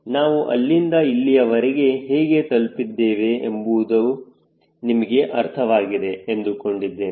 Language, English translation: Kannada, i hope you have understood how we have come from here to here